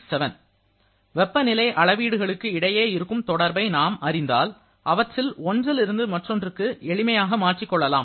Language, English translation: Tamil, So as we know the relationship between all these temperature scales, we can easily convert one value to the other